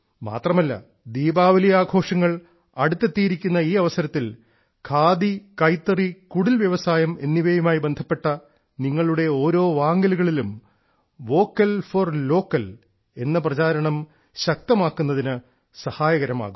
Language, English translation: Malayalam, , for the festive season, every khadi, handloom, cottage industry purchase of yours should strengthen the campaign for 'Vocal for Local', it